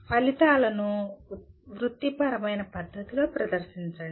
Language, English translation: Telugu, Present the results in a professional manner